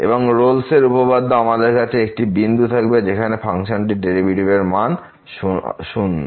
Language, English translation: Bengali, And the Rolle’s theorem says that the there will be a point where the function will be the derivative of the function will be